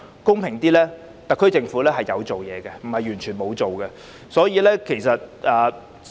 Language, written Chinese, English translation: Cantonese, 公道點說，特區政府其實有做事，並非完全沒有做實事。, To give the SAR Government a fair deal I think it has actually carried out work instead of doing no solid work at all